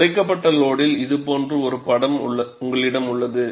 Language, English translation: Tamil, And at the reduced load, you have a picture like this